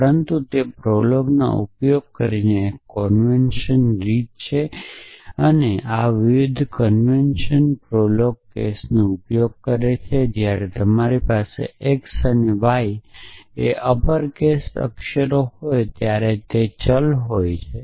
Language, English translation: Gujarati, But that is a convention way using prolog is this the different convention prolog uses the case that when you have x and y uppercase letters then it is a variable